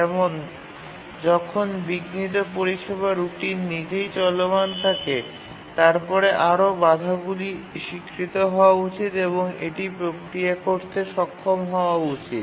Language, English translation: Bengali, That is when the interrupt service routine itself is running, further interrupts should be recognized and should be able to process it